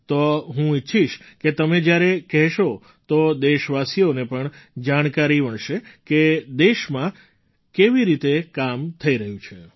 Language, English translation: Gujarati, So I would like that through your account the countrymen will also get information about how work is going on in the country